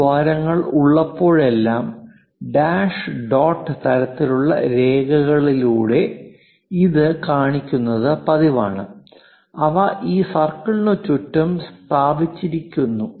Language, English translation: Malayalam, Whenever this holes are there it is common practice for us to show it by dash dot kind of lines, and they are placed around this circle